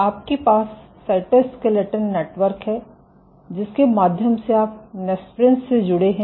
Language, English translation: Hindi, So, outside you have the cytoskeletal network through which you have connections through the nesprins